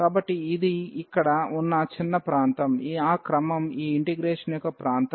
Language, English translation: Telugu, So, this is small region here that is the order of that is the region of this integration